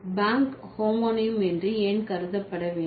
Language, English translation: Tamil, And why bank would be considered as a homonym